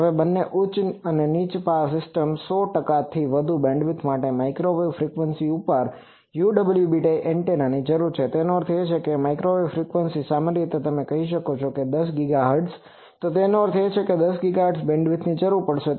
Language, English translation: Gujarati, Now, both high and low power systems require UWB antennas at microwave frequency with more than 100 percent bandwidth that means if microwave frequency typically you can say 10 GHz, so that means I will require a bandwidth of 10 GHz